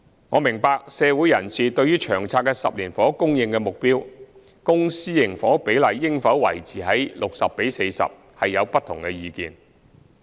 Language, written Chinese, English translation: Cantonese, 我明白，社會人士對於《長策》的10年房屋供應目標，公私營房屋比例應否維持 60：40， 有不同意見。, I understand that members of the community have differing views on the 10 - year housing supply target under LTHS and whether the public - private split should be maintained at 60col40